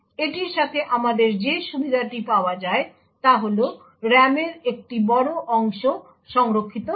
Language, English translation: Bengali, The advantage to we achieve with this is that a large portion of the RAM gets saved